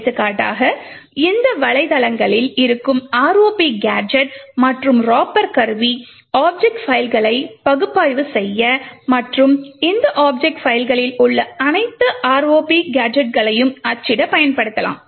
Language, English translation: Tamil, For example, the tool ROP gadget and Ropper present in these websites can be used to analyse object files and print all the ROP gadgets present in these object files